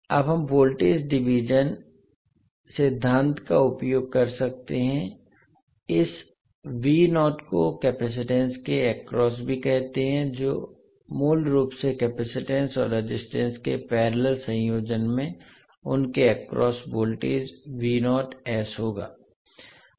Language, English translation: Hindi, Now we can utilize the voltage division principle, says this V naught is also across the capacitance, so basically the parallel combination of capacitance and resistance will have the voltage V naught s across them